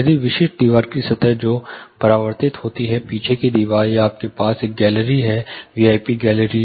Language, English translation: Hindi, If there are specific wall surfaces which are reflective; say the rear wall, or you have a gallery V I P gallery